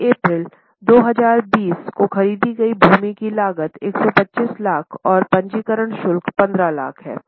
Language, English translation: Hindi, The cost of land purchased on 1st April 2020 is 125 lakhs and registration charges are 15 lakhs